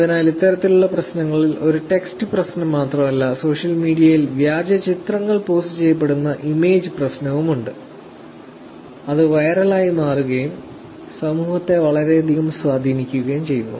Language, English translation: Malayalam, So, these kind of problems which is not only the text problem, there is also with the image problem where in the fake images are being posted on social media which become viral which also has impact in the society